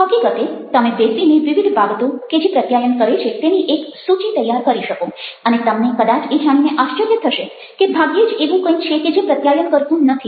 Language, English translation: Gujarati, you can, in fact, sit down to make a list of various things that communicate, and you would be surprised to probably find that there is hardly anything which doesnt communicate